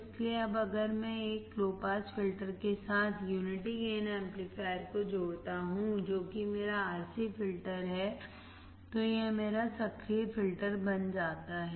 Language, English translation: Hindi, So, now if I connect a unity gain amplifier with a low pass filter which is my RC filter, it becomes my active filter